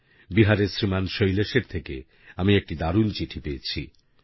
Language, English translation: Bengali, I have received a lovely letter, written by Shriman Shailesh from Bihar